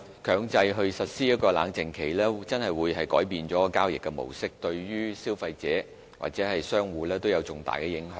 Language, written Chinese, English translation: Cantonese, 強制實施冷靜期會改變交易模式，對消費者和商戶有重大的影響。, Imposing a mandatory cooling - off period will change the course of transactions and bring about significant implications on consumers and traders